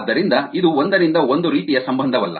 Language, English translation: Kannada, ok, so it is not a one to one kind of a relationships